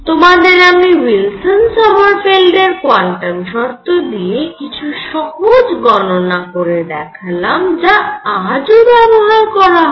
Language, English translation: Bengali, Calculations, I am going to give you some simple calculations based on Wilson Sommerfeld quantum conditions which are in use today also